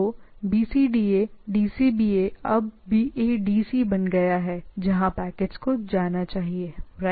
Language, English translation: Hindi, So, BCDA DCBA now become BADC based on that where the packets should go, right